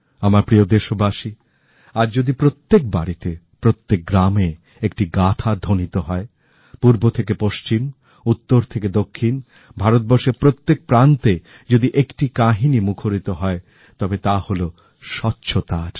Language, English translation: Bengali, My dear countrymen, today, if one story that rings from home to home, and rings far and wide,is heard from north to south, east to west and from every corner of India, then that IS the story of cleanliness and sanitation